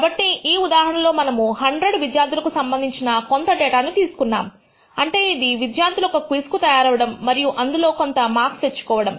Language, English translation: Telugu, So, in this case we have taken some data corresponding to 100 students for which I mean students have spent time preparing for a quiz and they have obtained marks in that quiz